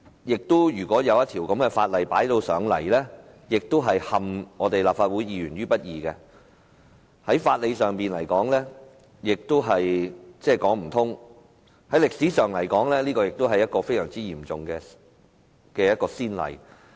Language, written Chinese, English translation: Cantonese, 而且，把這樣的法案提交立法會，是陷立法會議員於不義，在法理上亦說不通，而在歷史上而言，這亦是一個非常嚴重的先例。, Moreover the submission of such a Bill to the Legislative Council is putting Legislative Council Members in an unrighteous position . Neither does it hold water in terms of jurisprudence . It also sets a most serious precedent in history